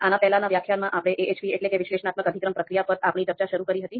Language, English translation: Gujarati, So in the previous lecture, we started our discussion on AHP that is Analytic Hierarchy Process, so let’s continue that discussion